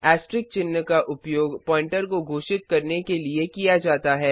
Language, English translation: Hindi, Asterisk sign is used to declare a pointer